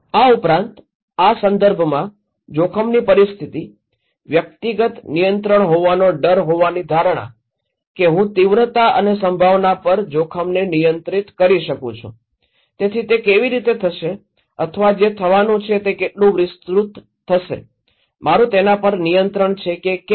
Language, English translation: Gujarati, Also, the context, the risk situation, the perception of dread having personal control, that I can control the risk over the magnitude and probability, so how it will happen or what extended to happen, I have some control or not